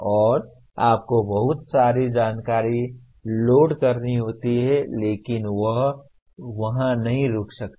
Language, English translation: Hindi, And you have to keep loading lot of information but it cannot stop there